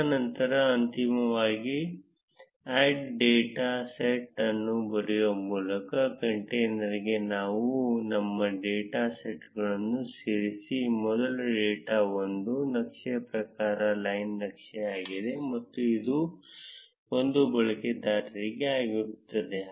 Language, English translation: Kannada, And then finally, add our data sets to the container by writing add data set, first is the data 1; the type of the chart is a line chart and it is for user 1